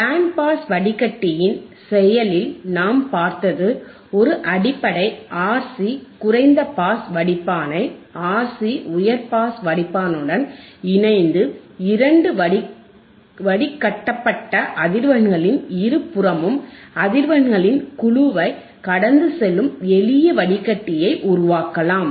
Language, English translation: Tamil, In Band Pass Filter action we have seen that a basic RC low pass filter can be combined with a RC high pass filter to form a simple filter that will pass a band of frequencies either side of two cut off frequencies